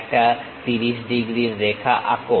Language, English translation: Bengali, First we draw 30 degrees line